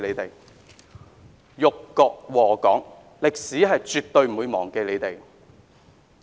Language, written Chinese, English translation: Cantonese, "——你們這些人辱國禍港，歷史絕對不會忘記你們！, ―you people who humiliated our country and subjected Hong Kong to disasters will never be forgotten by history!